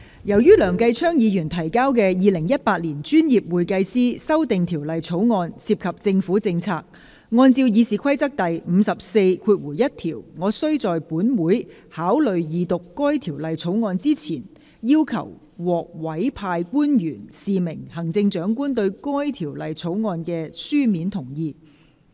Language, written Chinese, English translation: Cantonese, 由於梁繼昌議員提交的《2018年專業會計師條例草案》涉及政府政策，按照《議事規則》第541條，我須在本會考慮二讀該條例草案之前，要求獲委派官員示明行政長官對該條例草案的書面同意。, As the Professional Accountants Amendment Bill 2018 presented by Mr Kenneth LEUNG relates to government policies I shall in accordance with Rule 541 of the Rules of Procedure call for the signification of the written consent of the Chief Executive by a designated public officer before this Council enters upon consideration of the Second Reading of the Bill